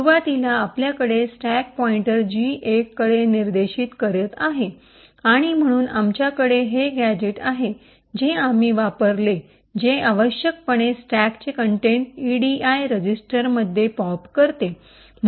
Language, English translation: Marathi, So we have the stack pointer pointing to gadget 1 initially and therefore we have this gadget which we have used which essentially pops the contents of the stack into the edi register